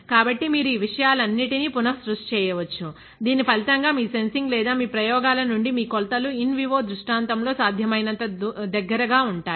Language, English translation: Telugu, So, you can recreate all these things; as a result of which your measurements from your sensing or your experiments will be as close as possible to the in vivo scenario